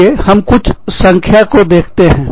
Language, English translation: Hindi, Let us look at, some numbers